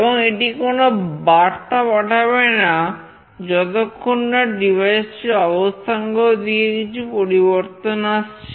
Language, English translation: Bengali, And it will not send any message unless there is a change in the position of this device